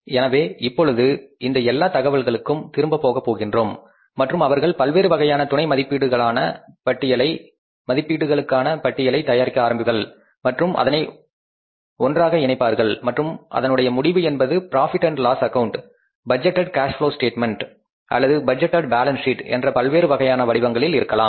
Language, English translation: Tamil, So now we will go back to this entire information and just start preparing about the different budget subestimates schedules and then we will club them together and then the result will be the budgeted profit and loss account, budgeted cash flow statement or the cash budget and the budgeted balance sheet